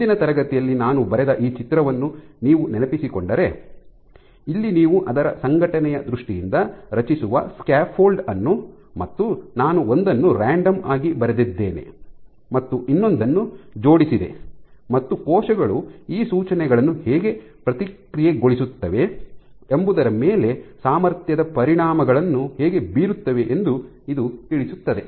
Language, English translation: Kannada, And you would remember this picture I drew from last class saying that the scaffold that you create in terms of its organization here I have drawn one as random and one has aligned these have robust effects on how cells process these cues